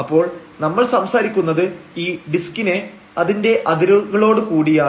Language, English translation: Malayalam, So, we are talking about this disc including the boundaries including this circle here